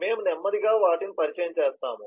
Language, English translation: Telugu, we will slowly introduce those